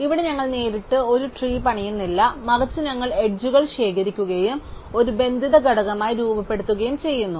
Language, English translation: Malayalam, Here, we do not build up a tree directly, but rather we keep collecting edges and form a connected component overall which becomes a tree